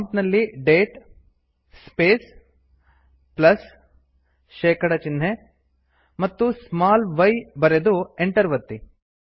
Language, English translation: Kannada, Type at the prompt date space plus percentage sign small y and press enter